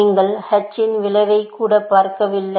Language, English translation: Tamil, You do not even look at the effect of h